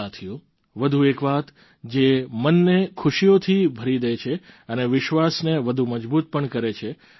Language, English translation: Gujarati, Friends, there's one more thing that fills the heart with joy and further strengthens the belief